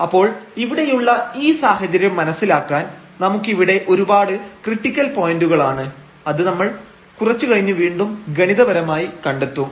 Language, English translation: Malayalam, So, just to realize this situation here so we have many critical points which we will identify again mathematically little later